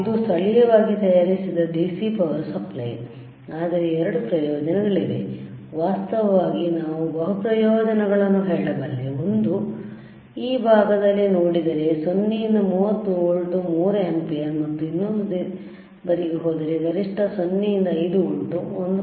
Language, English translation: Kannada, This is the locally manufactured DC power supply, but there are 2 advantages, in fact, I can say the multiple advantages isare, one is, see in this side if you see, 0 to 30 volts 3 ampere and if you go to thisother side, maximum is 0 to 5 volts 1